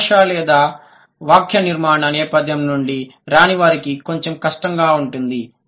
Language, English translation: Telugu, So, one, those who do not come from linguistics or syntax background, it would be a little difficult for you